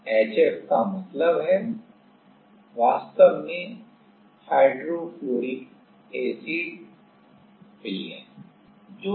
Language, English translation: Hindi, HF means, actually hydrofluoric acid solution